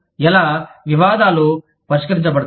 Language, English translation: Telugu, How will, disputes be resolved